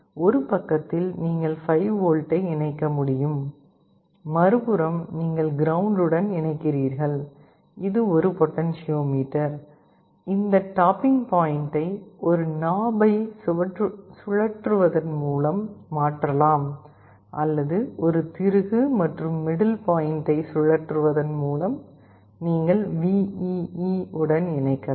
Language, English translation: Tamil, On one side you can connect 5V, on the other side you connect ground, and this is a potentiometer, this tapping point can be changed either by rotating a knob or there is screw by rotating a screw, and the middle point you connect to VEE